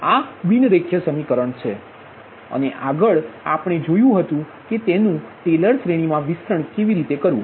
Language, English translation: Gujarati, just now we saw that nonlinear equation, how to expand in in taylor series